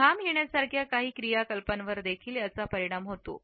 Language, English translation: Marathi, It is also influenced by certain activities which may be sweat inducing